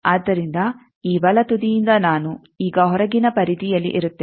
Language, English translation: Kannada, So, from this right, end I will now in the outer periphery